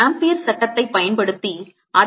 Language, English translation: Tamil, let us do the same calculation using amperes law